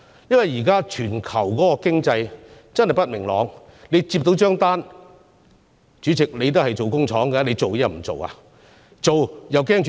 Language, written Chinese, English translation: Cantonese, 現時全球經濟不明朗，如果企業收到訂單——主席，你也是營運工廠的——究竟要不要開始生產呢？, Now that there are uncertainties in the global economy should an enterprise start production―Chairman you are also a factory operator―if it receives an order?